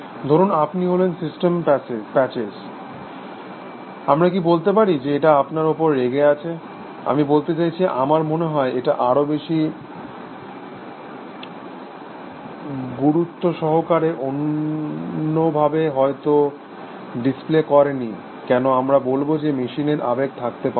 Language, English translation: Bengali, Suppose you are system patches, can we say it is angry with you, I mean it may not display it in other ways I think, no more seriously, why should we say that, machines cannot have emotions